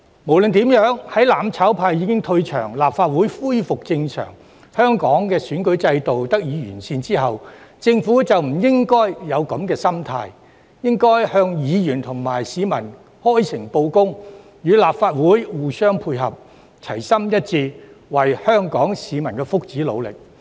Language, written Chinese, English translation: Cantonese, 無論如何，在"攬炒派"退場、立法會恢復正常，以及香港的選舉制度得以完善後，政府便不應該抱有這種心態，而是應該向議員和市民開誠布公，與立法會互相配合，齊心一致，為香港市民的福祉努力。, Anyway with the mutual destruction camp leaving the legislature the Legislative Council resuming normal operation and the electoral system of Hong Kong being improved the Government should not have such a mentality anymore . It should be frank with Members and the general public work in unity with the legislature and strive for the well - being of Hong Kong people